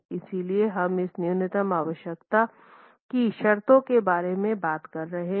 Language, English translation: Hindi, So, what are we talking of in terms of this minimum requirement